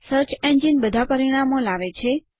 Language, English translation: Gujarati, The search engine brings up all the results